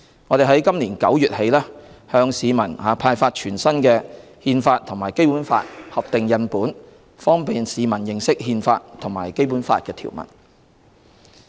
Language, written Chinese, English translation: Cantonese, 我們在今年9月起向市民派發全新的《憲法》和《基本法》合訂印本，方便市民認識《憲法》和《基本法》條文。, Since September this year we have been distributing the newly printed Constitution and Basic Law booklet to the public to facilitate them to learn the articles of the Constitution and the Basic Law